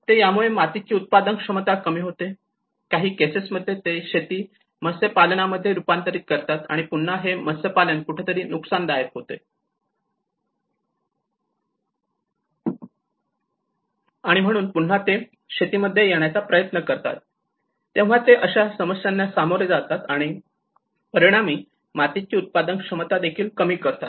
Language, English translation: Marathi, Decline in soil productivity you know, in many at cases we have this how the agriculture have been converted into aquaculture, and again aquaculture has been at some point they come into losses, and again they want to come into agriculture you know how they face these difficulties and how it will reduce the soil productivity as well